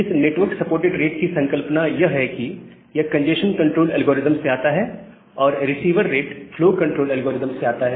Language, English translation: Hindi, Now, this concept of network supported rate, it is coming from the congestion control algorithm; and the receiver rate that is coming from the flow control algorithm